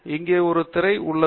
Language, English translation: Tamil, And here is a screen that does it